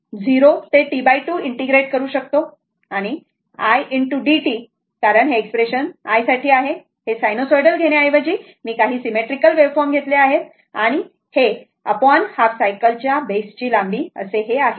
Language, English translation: Marathi, So, you can integrate 0 to T by 2, then i into d t because this is a this is the expression for i, this is a some instead of taking sinusoidal some symmetrical waveform I have taken and this divided by your length of the base of the half cycle